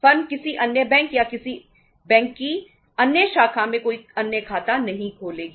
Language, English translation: Hindi, Firm will not maintain any other account in any other bank or any other branch of the same bank